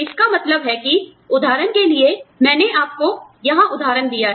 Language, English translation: Hindi, This means that, for example, i have given you, the example here